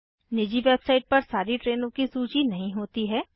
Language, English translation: Hindi, Not all trains are listed in private website